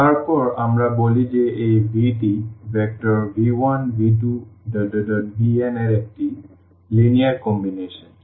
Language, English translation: Bengali, Then we call that this v is a linear combination of the vectors v 1, v 2, v 3, v n